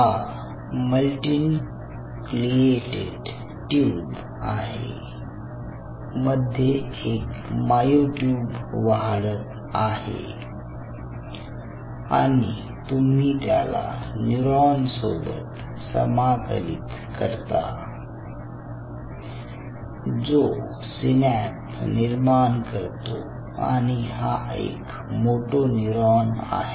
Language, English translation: Marathi, ok, so now the idea is you have a myotube growing out here, a multinucleated tube, and somewhere or other you integrate it with a neuron which will be forming synapses on it, which will be, of course, a moto neuron